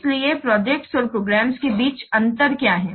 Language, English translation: Hindi, So, that's what is the difference between projects and programs